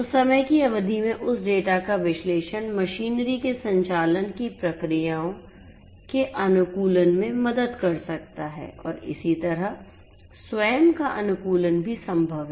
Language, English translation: Hindi, So, the analysis of that data over a period of time can help in the optimization of the processes of the machinery their operations and so on so, self optimization that is also possible